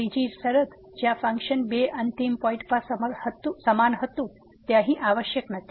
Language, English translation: Gujarati, The third condition where the function was equal at the two end points is not required here